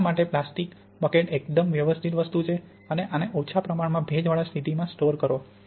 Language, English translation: Gujarati, Plastic bucket is quite good and store these under low relative humidity conditions